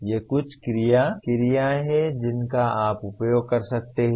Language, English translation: Hindi, These are some of the action verbs that you can use